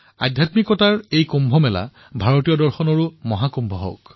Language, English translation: Assamese, May this Kumbh of Spirituality become Mahakumbh of Indian Philosophy